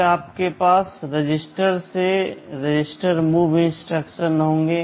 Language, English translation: Hindi, Then you have some register to register move instructions